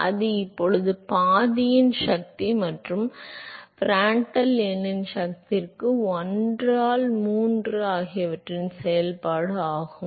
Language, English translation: Tamil, So, that is now some function of the power of half and Prandtl number to the power of 1 by 3